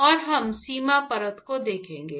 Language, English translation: Hindi, And we will look at boundary layer